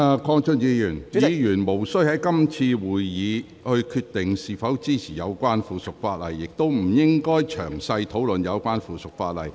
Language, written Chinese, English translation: Cantonese, 鄺俊宇議員，議員無須在是次會議決定是否支持有關附屬法例，亦不應該詳細討論有關附屬法例。, Mr KWONG Chun - yu Members do not need to decide at this meeting whether they support the relevant subsidiary legislation or not . Also they should not discuss the subsidiary legislation in detail